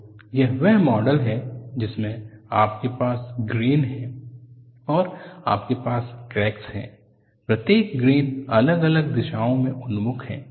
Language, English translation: Hindi, So, this is the model you have grains, and you have a cracks, oriented at different directions in each of the grains